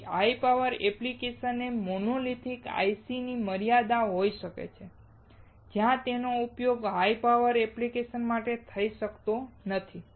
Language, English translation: Gujarati, So, high power application can be the limitations of monolithic ICs, where they cannot be used for high power applications